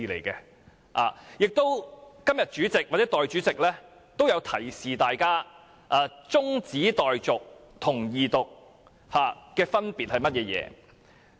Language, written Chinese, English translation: Cantonese, 今天主席或代理主席均有提醒議員中止待續和二讀的分別為何。, Today the President or the Deputy President has reminded Members of the difference between the adjournment motion and the Second Reading